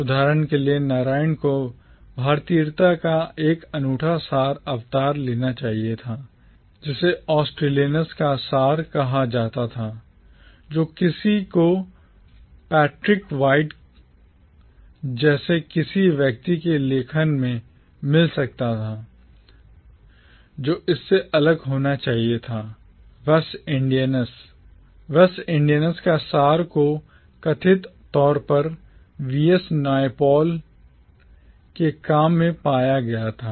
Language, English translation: Hindi, Narayan for instance was supposed to embody a unique essence of “Indianness” that was assumed to be different from say the essence of “Australianness” that one might find in the writings of someone like Patrick White, which in turn was supposed to be different from say the essence of “West Indianness” that was supposedly found in the work of V